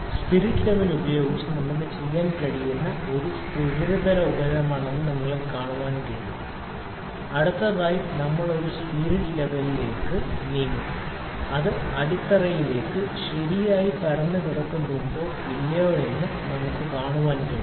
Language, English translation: Malayalam, You can see that it is a smooth surface we can using the spirit level, we will next move to a spirit level we can see that whether it is kept properly flat to the base or not, ok